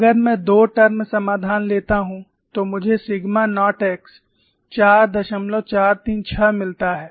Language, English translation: Hindi, If I take two term solution, I get sigma naught x is 4